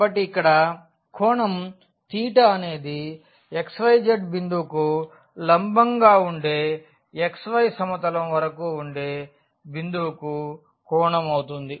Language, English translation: Telugu, So, here the angle theta will be the angle to this point which was the perpendicular from this x y z point to the xy plane